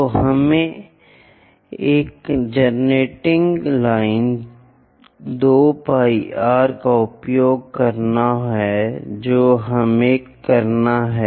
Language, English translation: Hindi, So, let us use a generating line 2 pi r we have to do